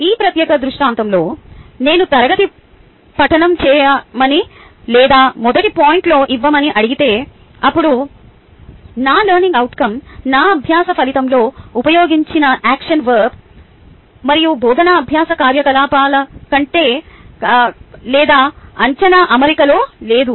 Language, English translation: Telugu, in this particular scenario, if i ask them to do class reading or what is given in the first point, then my learning outcome, the action verb used in my learning outcome and the type of ah teaching learning activity or the assessment is not in alignment